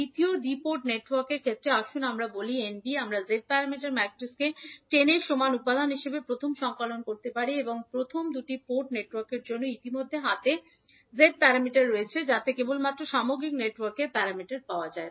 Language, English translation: Bengali, So in case of second two port network let us say it is Nb, we can compile the Z parameter matrix as having all the elements as equal to 10 and for the first two port network we already have the Z parameters in hand so we can simply get the Z parameter of the overall network